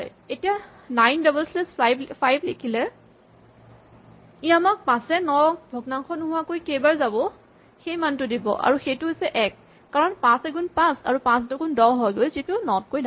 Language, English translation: Assamese, So, 9 double slash 5 says how many times 5 going to 9 exactly without a fraction and that is 1 because in a 5 times 1 is 5 and 5 times 2 is 10 which is bigger than 9 and the remainder is 4